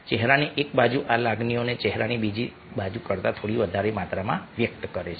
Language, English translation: Gujarati, one side of the ah face expression these emotions to slightly greater degree than the other side of the face